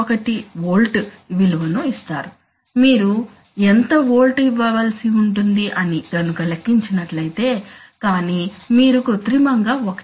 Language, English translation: Telugu, 1 volt, just what volt you have to give that if you calculate but so you artificially increase 1